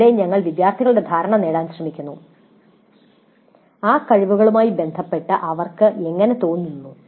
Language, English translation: Malayalam, Here we are trying to get the perception of the students how they feel with respect to those competencies